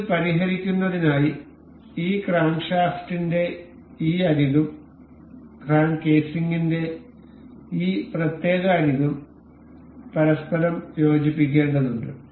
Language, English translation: Malayalam, For the fixing this, we need to coincide the this edge of this crankshaft and the this particular edge of the crank casing to coincide with each other